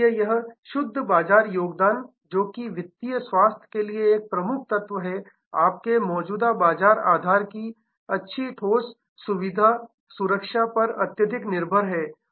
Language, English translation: Hindi, So, this net market contribution, which is a key element for the financial health again is very, very dependent on good solid protection of your existing market base